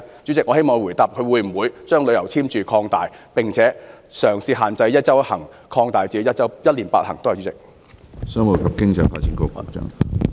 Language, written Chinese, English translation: Cantonese, 主席，我希望局長答覆會否將旅遊簽注限制擴大，並且將"一周一行"收緊至"一年八行"。, President I hope that the Secretary can answer the question of whether the authorities will expand the exit endorsement restrictions and tighten the relevant arrangement from one trip per week to eight trips per year